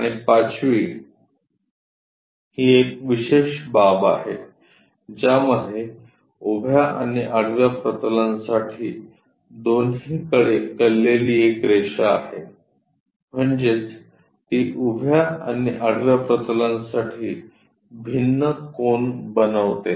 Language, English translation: Marathi, And the fifth line is is a special case a line inclined to both horizontal plane and vertical plane; that means, it makes different angles with horizontal plane and vertical plane